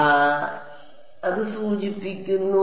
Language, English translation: Malayalam, So, implies that